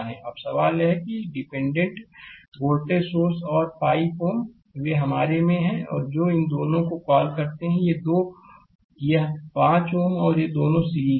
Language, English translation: Hindi, Now, question is that this dependent voltage source and 5 ohm, they are in your what you call your these two, these two, this 5 ohm and these two are in series